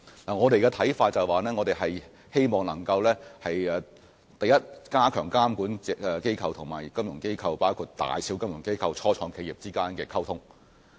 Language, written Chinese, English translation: Cantonese, 我們的看法是，我們希望首先能加強監管機構與金融機構和初創企業之間的溝通。, In our view we hope to first enhance the communication among the regulatory authorities financial institutions of all sizes and start - ups